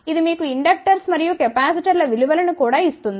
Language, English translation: Telugu, It will also give you the inductors and capacitors value